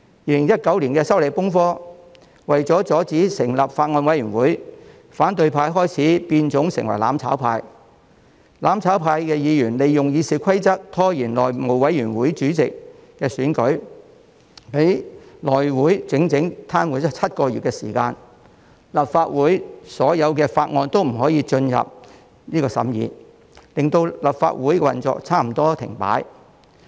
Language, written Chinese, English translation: Cantonese, 2019年出現了修例風波，為了阻止成立法案委員會，反對派開始變種成為"攬炒派"，他們利用《議事規則》拖延內務委員會主席選舉，令內務委員會癱瘓了整整7個月，提交予立法會的所有法案都未能進入審議，令立法會運作差不多停擺。, In 2019 there were disturbances caused by the opposition to the relevant proposed legislative amendments . In order to prevent the setting up of a Bills Committee the opposition camp started to be part of the mutual destruction camp . They made use of the Rules of Procedure to stall the election of the House Committee Chairman with a view to paralysing the operation of the House Committee for a total of seven months